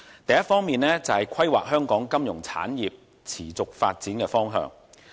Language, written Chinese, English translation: Cantonese, 第一方面，是規劃香港金融產業持續發展的方向。, First I wish to discuss the direction for sustaining the development of Hong Kongs financial industry